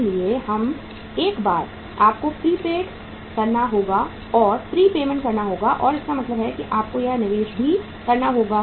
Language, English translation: Hindi, So once you have to make the pre payments so it means you will have to make this investment also